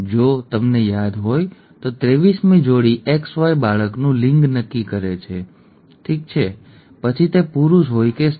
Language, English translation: Gujarati, The 23rd pair, XY if you recall, determines the sex of the child, okay, whether it is a male or a female